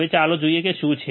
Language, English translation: Gujarati, Now let us see what is it